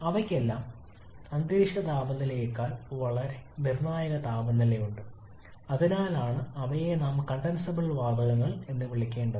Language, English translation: Malayalam, They all have critical temperature well below the atmospheric temperature and that is why we should call them non condensable gases